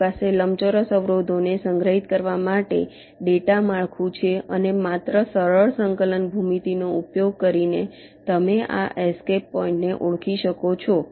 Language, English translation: Gujarati, you have the data structure to store the rectangular obstacles and just using simple coordinate geometry you can identify this escape points right